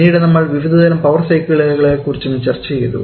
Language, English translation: Malayalam, Then we are discussed about different kinds of power cycle